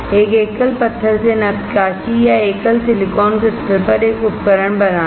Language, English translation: Hindi, Carving from a single stone or making a fabricating a device on a single silicon crystal